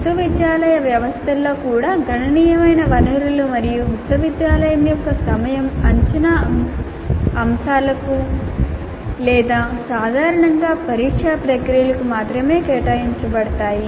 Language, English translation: Telugu, Even in the university systems, considerable resources and time of the university are devoted only to the assessment aspects or typically the examination processes